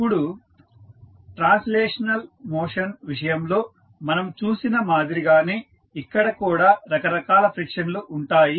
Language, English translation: Telugu, Now, similar to what we saw in case of translational motion, in this case also we will see various frictions